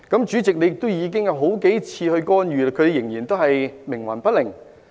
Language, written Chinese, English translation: Cantonese, 主席，你已經干預了數次，但他們仍然冥頑不靈。, Chairman you have intervened several times but they are still so obstinate